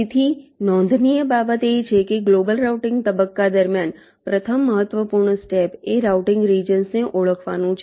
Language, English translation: Gujarati, ok, so the point to note is that during the global routing phase the first important step is to identify the routing regions